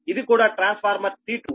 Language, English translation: Telugu, and then this is transformer t two